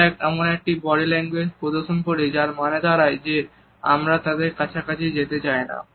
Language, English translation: Bengali, We develop a body language which suggest that we do not want to be close to them